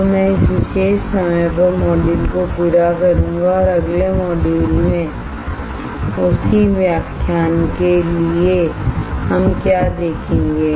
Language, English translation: Hindi, So, I will complete the module at this particular time and in the next module for the same lecture what we will see